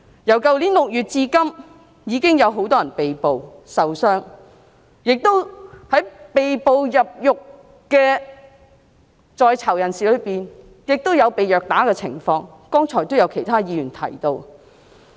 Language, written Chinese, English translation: Cantonese, 由去年6月至今，已經有很多人被捕、受傷，而被捕入獄的在囚人士中，亦都有被虐打，剛才已有其他議員提到。, As mentioned by other Members just now since June last year many people have been arrested and injured; and among the arrestees who have been put behind bars some have been assaulted